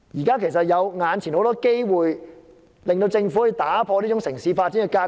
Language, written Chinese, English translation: Cantonese, 事實上，眼前有很多機會讓政府可打破這種城市發展的格局。, In fact many opportunities are available for the Government to break this pattern of city planning